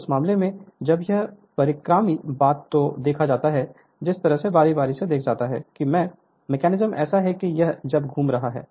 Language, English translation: Hindi, So, in that case when it is revolving suppose the way we saw alternating thing the mechanism is such that when it is revolving right